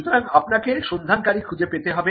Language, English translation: Bengali, So, you would identify your searcher